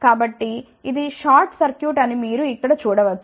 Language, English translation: Telugu, So, you can see here that this is short circuit